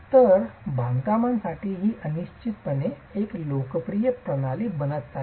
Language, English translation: Marathi, So, this is definitely becoming a popular system for construction